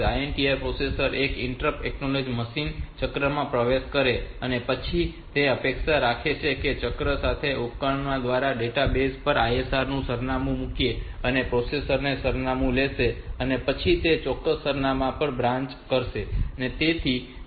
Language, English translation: Gujarati, INTR the processor enters into an interrupt acknowledge machine cycle and then it expects that on that cycle the address of the ISR we will put on the database by the device and the processor will take that address and then branch to that particular address